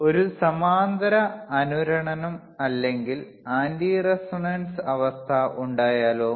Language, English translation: Malayalam, Now, what if a parallel resonance or anti resonance condition occurs